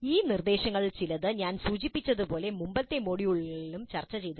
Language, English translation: Malayalam, Some of these issues were discussed in earlier modules also, as I mentioned